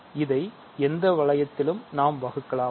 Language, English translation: Tamil, So, in any ring we can divide